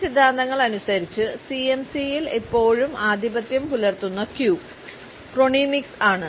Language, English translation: Malayalam, According to these theories the cue that is still remains dominant in CMC is Chronemics